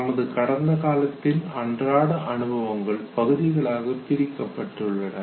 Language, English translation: Tamil, And all these daily experiences of the past, they are broken into episodes